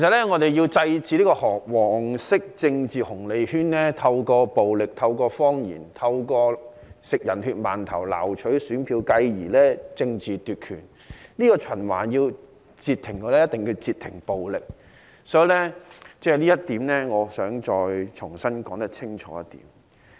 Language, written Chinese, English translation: Cantonese, 我們要制止"黃色政治紅利圈"透過暴力、謊言、吃"人血饅頭"撈取選票，繼而政治奪權，要截停這個循環，一定要截停暴力，我想重新說清楚這一點。, We have to stop the yellow political dividend circle from gaining votes by means of violence lies and eating steamed buns dipped in human blood thereby seizing political power . We must stop violence in order to break this cycle . I would like to reiterate this point clearly